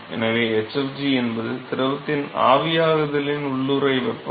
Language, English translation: Tamil, So, hfg is the latent heat of vaporization of the fluid